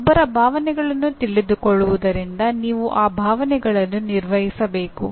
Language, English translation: Kannada, Knowing one’s emotions you have to manage the emotions